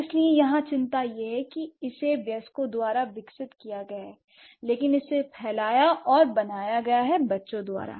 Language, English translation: Hindi, So, the concern here is that it has been developed by the adults, but it has been spread and created by children